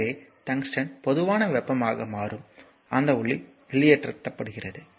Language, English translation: Tamil, So, tungsten becomes hot enough so, that light is emitted